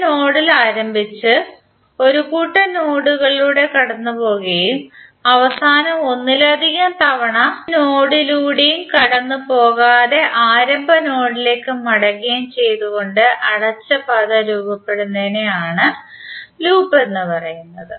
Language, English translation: Malayalam, The closed path formed by starting at a node, passing through a set of nodes and finally returning to the starting node without passing through any node more than once